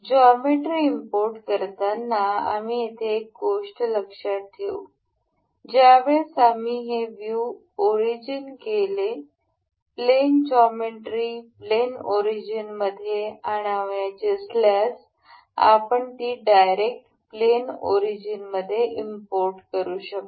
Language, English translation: Marathi, One thing we can note here while importing the geometry while we have activated this view origins we can directly if we wish to import in the plane geometry plane origin we can directly import the part to have the plane origin